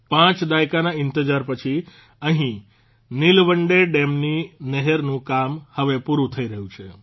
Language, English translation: Gujarati, After waiting for five decades, the canal work of Nilwande Dam is now being completed here